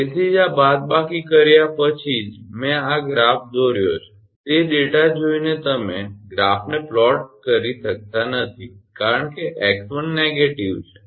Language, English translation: Gujarati, That is why after getting this minus only I have drawn this graph, looking at that data you cannot plot the graph because x one is negative